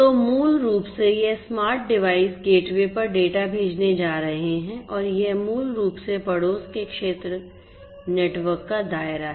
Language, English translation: Hindi, So, basically these smart devices are going to send the data to the gateway and that is basically the scope of the neighborhood area network